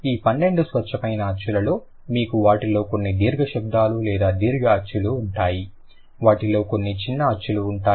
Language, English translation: Telugu, Out of this 12 pure vowels you will have some of them are long sounds or long vowels, some of them are short vowels